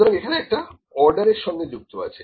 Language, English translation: Bengali, So, there is an order associated with it